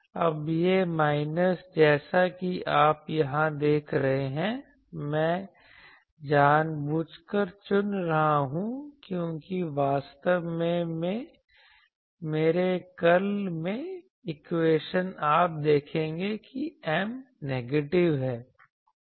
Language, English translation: Hindi, Now, this minus as you see here I am choosing deliberately because actually in my curl equation you will see that M is negative